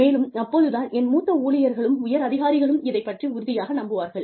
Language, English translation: Tamil, And, only then will, and my seniors, have to be convinced, about this